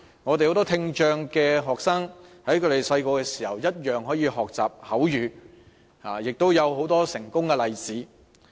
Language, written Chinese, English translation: Cantonese, 很多聽障學生在小時候同樣可以學習口語，亦有很多成功的例子。, A lot of students with hearing impairment can learn spoken language at a younger age and there are successful examples